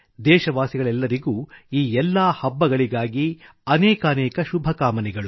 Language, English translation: Kannada, I extend my best wishes to all countrymen for these festivals